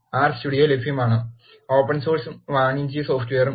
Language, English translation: Malayalam, R Studio is available as both Open source and Commercial software